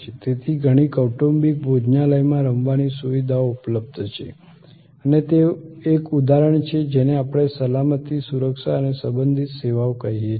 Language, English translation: Gujarati, So, there are play facilities available in many family restaurants and that is an example of what we call this safety security and related services